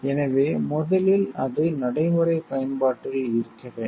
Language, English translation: Tamil, So, first is it must be of practical use